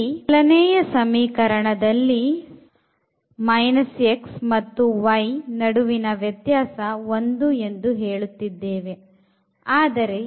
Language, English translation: Kannada, So, here this is the first equation x plus y is equal to 4